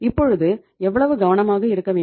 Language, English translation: Tamil, So how careful you have to be